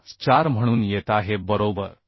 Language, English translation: Marathi, 25 so this is coming 45